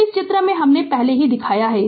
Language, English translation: Hindi, So, figure already I have shown